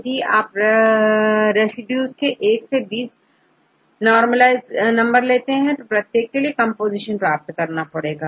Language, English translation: Hindi, If you take each residues right 1 to 20, normalize with the n, for each case then we will get the composition